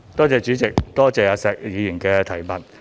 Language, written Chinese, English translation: Cantonese, 主席，多謝石議員的補充質詢。, President I thank Mr SHEK for his supplementary question